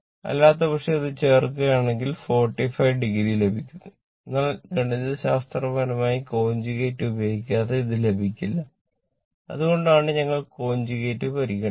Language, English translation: Malayalam, Otherwise, if you add this we are getting 45 degree, but mathematically how we get it unless and until we take the conjugate that is why let me cleat it